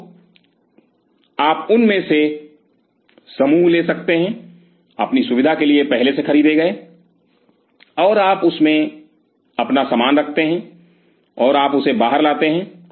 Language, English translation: Hindi, So, you can have bunch of them already purchased for your facility and you keep your stuff in them and you bring it out